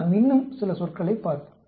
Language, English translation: Tamil, We will look at some more term terminologies